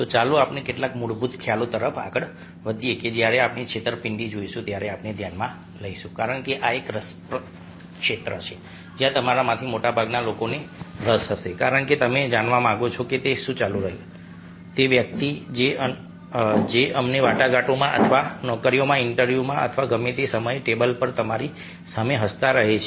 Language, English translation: Gujarati, so let us move on to some of the basic concepts that we will be take up when we look at deceit, because this is an interesting area where most of you interested because you like to know whether, ah what, what is going on in the mind of the person who is, lets a smiling at you, ah ah, across table in a negotiations or in a job interview, whatever